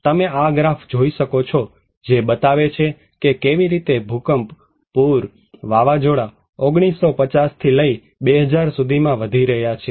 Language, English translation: Gujarati, You can see this graph also that is showing that how earthquake, flood, windstorm is increasing from 1950 to 2000